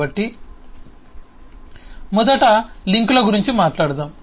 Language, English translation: Telugu, so first let us talk about links